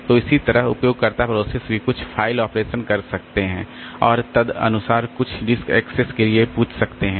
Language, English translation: Hindi, So, similarly the user processes also they can do some file operation and accordingly ask for some disk access